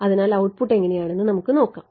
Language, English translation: Malayalam, So, let us see what the output looks like